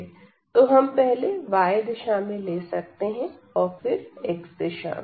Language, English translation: Hindi, So, we can let us take now first in the direction of y, and then in the direction of x